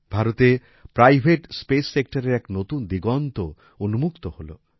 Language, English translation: Bengali, This marks the dawn of a new era for the private space sector in India